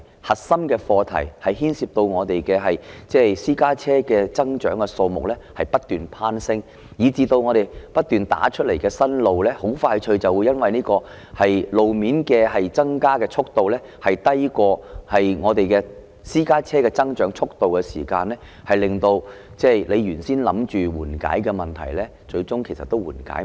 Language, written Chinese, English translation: Cantonese, 核心的課題，牽涉到本港私家車增長的數目不斷攀升，以致不斷興建的新路很快就會因為路面增加的速度低於私家車增長的速度，令原先打算緩解的問題最終無法緩解。, The core issue involves the continuous growth of private cars in Hong Kong which readily outpaces the increase in new roads making it eventually impossible to alleviate the problems as intended